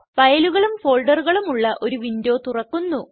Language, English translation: Malayalam, A window with files and folders opens